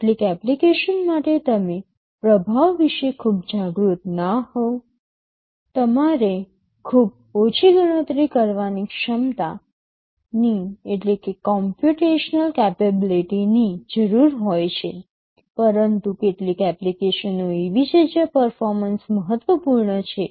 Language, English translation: Gujarati, For some application you are may not be that much aware about the performance, you need very little computational capability, but there are some applications where performance is important